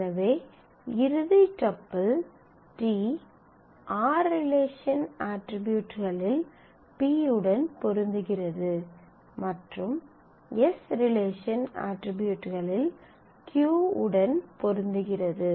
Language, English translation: Tamil, So, that the final tuple t matches p on the a attributes the b attributes that is attributes of relation r and the components of t matches the tuple q in the attributes of s